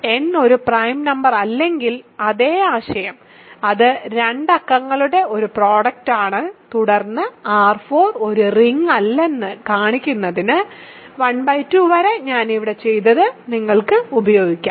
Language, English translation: Malayalam, So, exactly the same idea if n is not a prime number, it is a product of 2 numbers and then, you can use what I have done here for 1 by 2 to show that R n is not a ring